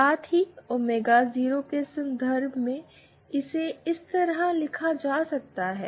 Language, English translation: Hindi, Also in terms of omega 0, it can be written like this